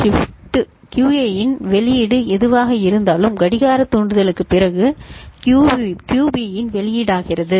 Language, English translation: Tamil, Whatever was the output of QA becomes output of QB after the clock trigger